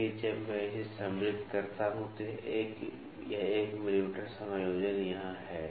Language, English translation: Hindi, So, when I insert it so, this 1 mm adjustment is here